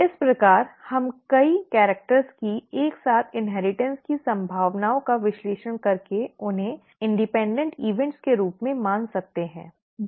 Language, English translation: Hindi, Thus, we can analyze probabilities of simultaneous inheritance of multiple characters by considering them as independent events, okay